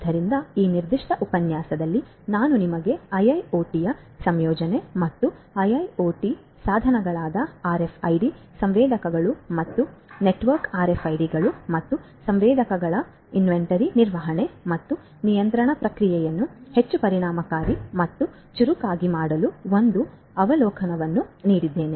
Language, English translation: Kannada, So, in this particular lecture I have given you the an overview of the incorporation of IIoT and the infuse meant of IIoT devices such as RFID sensors and the network RFIDs and sensors for making the inventory management and control process much more efficient and smarter